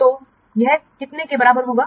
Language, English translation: Hindi, So that is this is coming to be how much